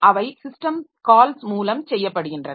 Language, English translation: Tamil, So, they are done by means of system calls